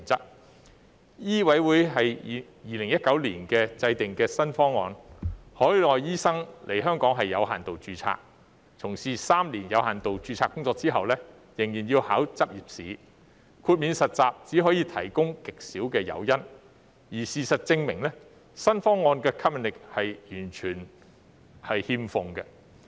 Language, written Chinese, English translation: Cantonese, 香港醫務委員會在2019年制訂新方案，海外醫生來港屬有限度註冊，從事3年有限度註冊工作後仍要考取執業試，豁免實習只可以提供極少誘因，而事實證明，新方案完全欠吸引力。, In 2019 the Medical Council of Hong Kong formulated a new proposal . Overseas doctors could come to work in Hong Kong with limited registration . After working for three years with limited registration they still had to take the licensing examination